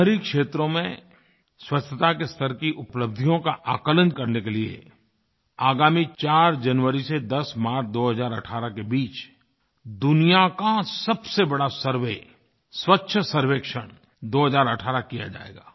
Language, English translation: Hindi, Cleanliness Survey 2018, the largest in the world, will be conducted from the 4th of January to 10th of March, 2018 to evaluate achievements in cleanliness level of our urban areas